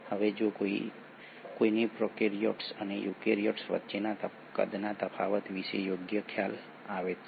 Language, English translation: Gujarati, Now if one were to get a fair idea about the size difference between the prokaryotes and eukaryotes